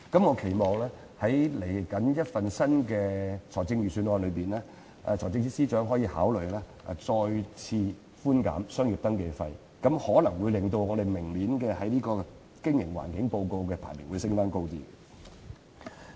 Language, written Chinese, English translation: Cantonese, 我期望在即將發表的新一份財政預算案，財政司司長可以考慮再次寬免商業登記費，此舉可能會令我們在明年的營商環境報告的排名上升少許。, I hope that in the upcoming Budget the Financial Secretary will consider waiving business registration fees again . Such a move may help us take a higher place in the business environment report next year . As an ancient saying goes one should correct mistakes if he has made any and guard against them if he has not